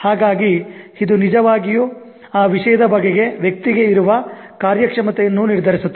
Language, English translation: Kannada, So that actually determines the person's performance in that subject also